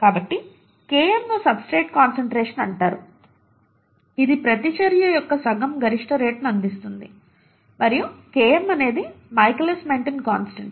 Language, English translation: Telugu, So Km is called the substrate concentration which gives half maximal rate of the reaction, right, and Km is the Michaelis Menton constant